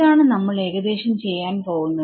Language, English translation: Malayalam, So, this is what we are going to roughly do